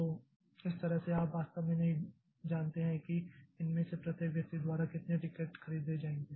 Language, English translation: Hindi, So, that way you really do not know like how many tickets will be bought by each of these persons